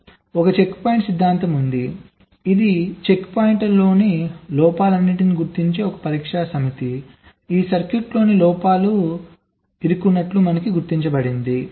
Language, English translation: Telugu, so there is a checkpoint theorem which says that a test set that detects all stuck at faults on the checkpoints also detects stuck at faults in this, all stuck at faults in this circuit